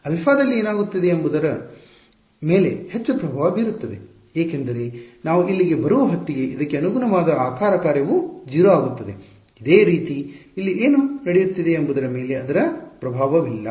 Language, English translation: Kannada, Whatever is happening at alpha has more influence on this because the way the shape function corresponding to this becomes 0 by the time you come over here, similarly whatever is happening over here has no influence on this